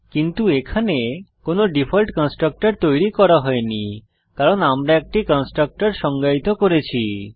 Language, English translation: Bengali, But here no default constructor is created because we have defined a constructor